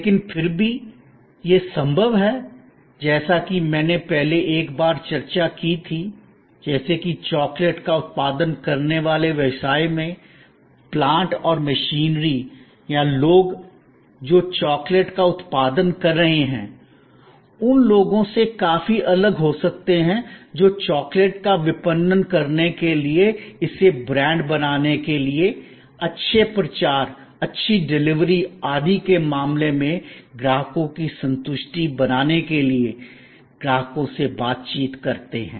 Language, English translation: Hindi, But, still there, it is possible as I discussed earlier once, that like in a business producing chocolate, the plants and machinery or the people, who are producing the chocolate could be quite distinctly away from the people, who would be interacting with the customers to market the chocolate, to build it is brand, to create customer satisfaction in terms of good promotion, good delivery, etc